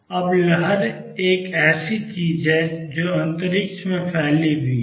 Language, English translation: Hindi, Now, a wave is something that is spread over space